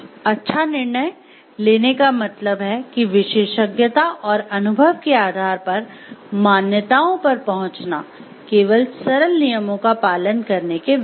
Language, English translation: Hindi, Exercising good judgment means arriving at beliefs on the basis of expertise and experience as opposed to merely following simple rules